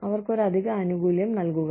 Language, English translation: Malayalam, Give them an added benefit